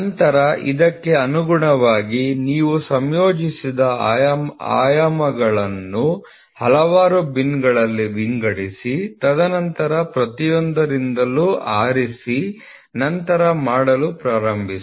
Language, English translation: Kannada, So, then correspondingly you also sort out the mating dimensions in several bins, and then pick from each one and then start doing it